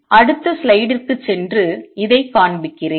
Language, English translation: Tamil, Let me go to the next slide and show this